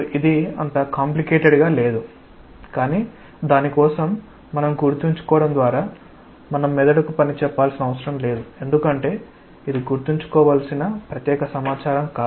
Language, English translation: Telugu, This is not complicated as such, but even for that we should not tax our brain by remembering that I mean that is not a very special information that we should remember